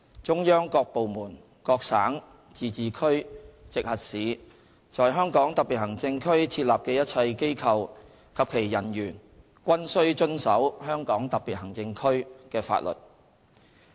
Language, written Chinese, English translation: Cantonese, 中央各部門、各省、自治區、直轄市在香港特別行政區設立的一切機構及其人員均須遵守香港特別行政區的法律。, All offices set up in HKSAR by departments of the Central Government or by provinces autonomous regions or municipalities directly under the Central Government and the personnel of these offices shall abide by the laws of HKSAR